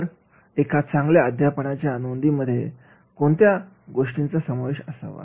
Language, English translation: Marathi, So, what should be included in a good teaching note